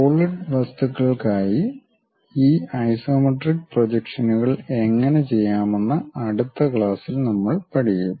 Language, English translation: Malayalam, And, in the next class, we will learn about how to do these isometric projections for solid objects